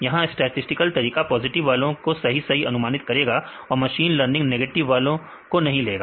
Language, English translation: Hindi, Here the statistical methods predicts the positives correctly and the machine learning, it excludes in negatives correctly